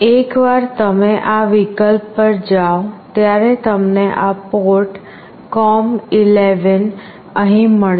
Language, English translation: Gujarati, Once you go to this option you will find this port com11 here